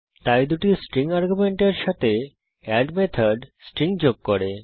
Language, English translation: Bengali, So the add method with two string arguments, appends the string